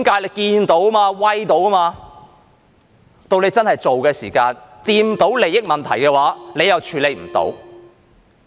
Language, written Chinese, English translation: Cantonese, 不過，到他們真的要做的時候，觸碰到利益問題，他們又處理不到。, However when they really have to take action they cannot handle it as the issue of interests is touched on